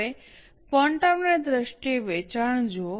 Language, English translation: Gujarati, Now look at the sale in terms of quantum